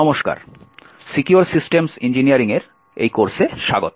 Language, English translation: Bengali, Hello, and welcome to this course of Secure Systems Engineering